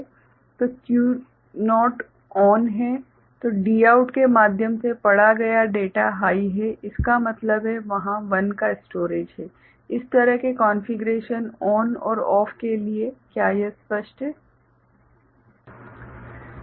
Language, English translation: Hindi, So, Q naught is ON then the data read through Dout is high so; that means, a storage of 1 is there for such configuration ON and OFF, is it clear